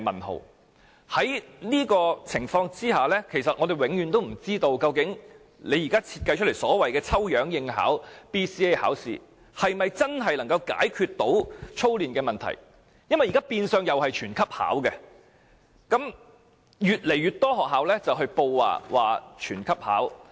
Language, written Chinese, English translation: Cantonese, 在這種情況下，我們永遠也不知道，究竟當局現時設計的所謂抽樣應考 BCA， 是否真的能夠解決操練的問題，因為現時變相同樣是全級學生均要考試，也越來越多學校上報要全級學生考試。, In a situation like this we will never know whether the so - called random selection of students for attending BCA under their present design can truly address the issue of excessive drilling . It is because all students still need to sit for BCA and more and more schools have informed the authorities of their decision to let all their students in the grade to sit for BCA